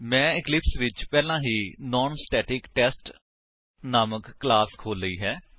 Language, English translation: Punjabi, I have already opened a class named NonStaticTest in Eclipse